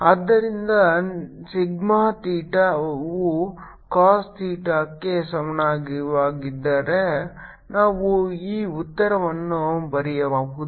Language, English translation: Kannada, so if sigma theta is equal to cos theta, you can write this answer